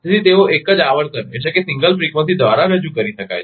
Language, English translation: Gujarati, So, they can be represented by a single frequency